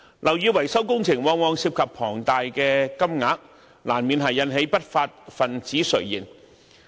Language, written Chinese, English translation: Cantonese, 樓宇維修工程往往涉及龐大的金額，難免引起不法分子垂涎。, Building maintenance works often involve huge sums inevitably becoming the coveted prey of lawbreakers